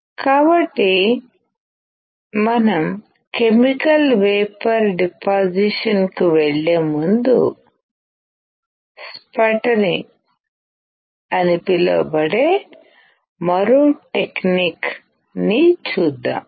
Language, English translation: Telugu, So, before we go to chemical vapor deposition, let us see one more technique called sputtering